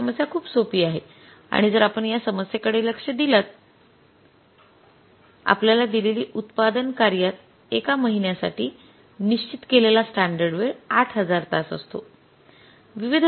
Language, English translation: Marathi, And if you look at this problem, the problem given to us is in a manufacturing concern, the standard time fixed for a month is 8,000 hours